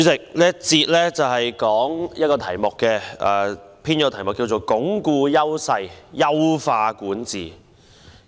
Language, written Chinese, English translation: Cantonese, 主席，這個環節的主題是"鞏固優勢、優化管治"。, President the theme of this session is on Reinforcing Strengths Enhancing Governance